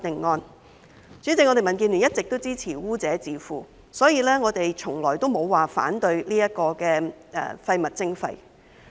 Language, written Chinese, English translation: Cantonese, 代理主席，民建聯一直都支持污者自付，故此我們從來也沒有反對廢物徵費。, Deputy President DAB has always supported the polluter - pays principle so we have never opposed waste charging